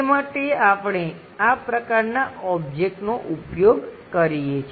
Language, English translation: Gujarati, For that purpose, we use this kind of object